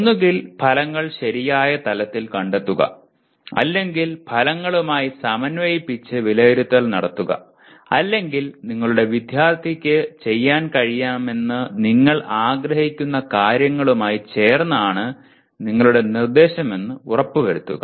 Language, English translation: Malayalam, Either locating the outcomes at the right level or making the assessment in alignment with outcomes or planning instruction making sure that your instruction is in line with what you wanted your student to be able to do